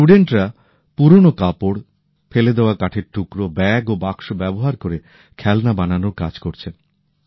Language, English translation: Bengali, These students are converting old clothes, discarded wooden pieces, bags and Boxes into making toys